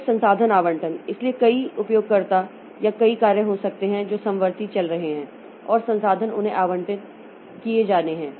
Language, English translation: Hindi, So, there can be multiple users or multiple jobs that are running concurrently and resources are to be allocated to them